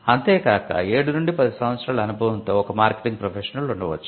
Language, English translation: Telugu, They could be a marketing professional with seven to ten year experience who do the marketing site